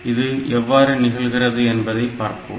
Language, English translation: Tamil, So, let us see how this thing happens